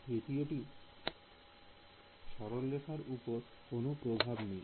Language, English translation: Bengali, The third has no influence on this line right